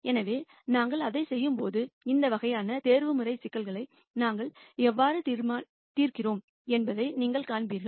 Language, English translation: Tamil, So, when we do that, you will see how we solve these kinds of optimization problems